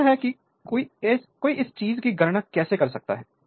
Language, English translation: Hindi, So, this is how one can calculate your this thing